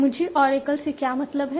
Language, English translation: Hindi, What do you mean by Oracle